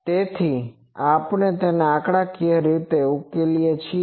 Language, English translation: Gujarati, That is why we are solving this numerically